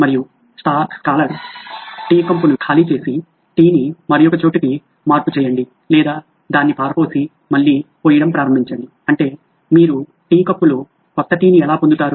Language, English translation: Telugu, And the scholar answered well empty the tea cup, transfer it somewhere or just throw it out and start pouring it again that’s how you get new tea into the tea cup